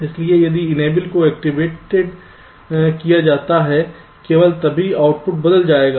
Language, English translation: Hindi, so if enable is activated, only then the outputs will change